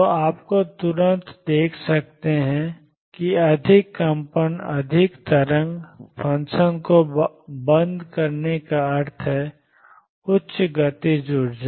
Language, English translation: Hindi, So, you can see right away that more wiggles more turning off the wave function around means higher kinetic energy